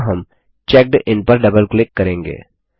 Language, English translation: Hindi, Here we will double click on CheckIn